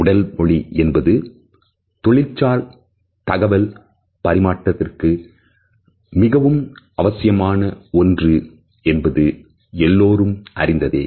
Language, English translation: Tamil, As all of us are aware, body language is an integral part of our professional communication